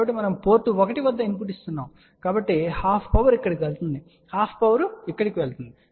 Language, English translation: Telugu, So, let us see what happens now so we are giving a input at port 1, so half power goes here half power goes here